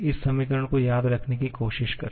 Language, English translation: Hindi, Try to remember this equation